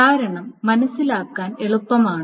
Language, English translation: Malayalam, The reason is easy to understand